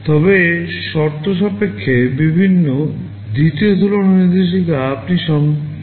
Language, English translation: Bengali, But in the conditional variety, the second compare instruction also you can make conditional